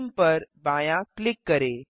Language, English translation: Hindi, Left click Theme